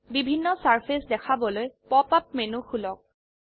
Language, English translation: Assamese, To view different surfaces, open the pop up menu